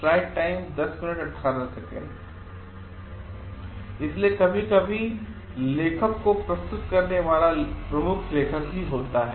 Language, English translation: Hindi, So, sometimes what happen submitting author is the lead author